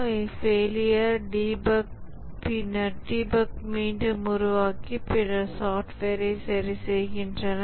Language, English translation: Tamil, They reproduce the failure, debug and then correct the software